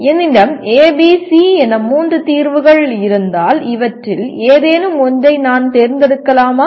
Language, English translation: Tamil, If I have A, B, C three solutions with me, can I select one out of these